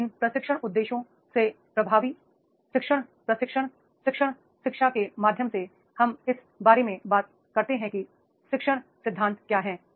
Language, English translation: Hindi, So, from these training objectives to the effective learning through the training, learning education and then we talk about what are the learning principles are there